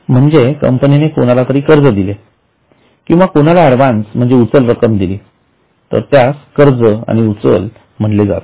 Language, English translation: Marathi, So if company gives loan to somebody or advance to somebody it is considered as a loans and advances